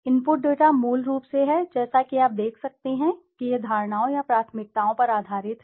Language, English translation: Hindi, The input data is basically as you can see is based on perceptions or preferences